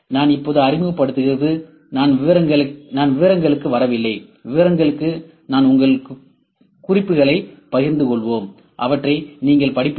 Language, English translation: Tamil, I am just introducing, I am not getting into details, for details we will share you the notes and you would read them